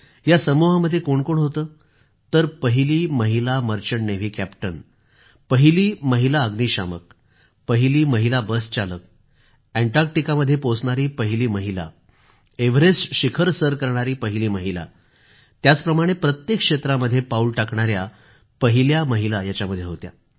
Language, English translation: Marathi, Women achievers of our country… the first female Merchant Navy Captain, the first female passenger train driver, the first female fire fighter, the first female Bus Driver, the first woman to set foot on Antarctica, the first woman to reach Mount Everest… 'First Ladies' in every field